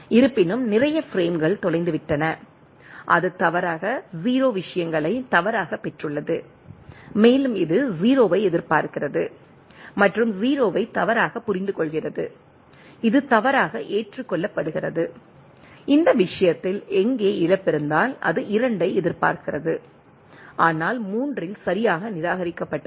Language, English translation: Tamil, So though, there is a lot of frames are lost, it has got erroneously got the things erroneously 0 and it is expecting this 0 and mistaking to the 0 and which is erroneously accepted, where is in this case, if there is a loss, it is it is expecting 2 and but at the 3 correctly discarded